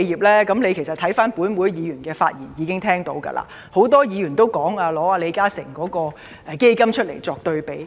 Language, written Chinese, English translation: Cantonese, 其實，司長聽到本會議員的發言應已知道，很多議員都以李嘉誠基金會的"應急錢"計劃作對比。, As a matter of fact from the speeches of many Members the Chief Secretary should have learnt that Members have compared his measures with the Crunch Time Instant Relief Fund provided by the Li Ka Shing Foundation